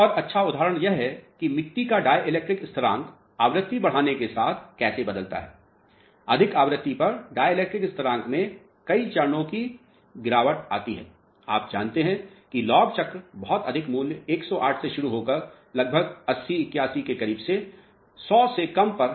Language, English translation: Hindi, Another good example is how dielectric constant changes for soils as frequency increases, there is a drop in dielectric constant of several cycles you know log cycles starting from a very high value of 10 power 8 to almost very close to 80, 81 less than 100 at very high frequency